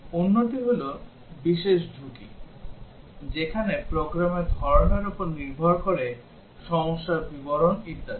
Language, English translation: Bengali, The other is special risk, where depending on the kind of program, the problem description and so on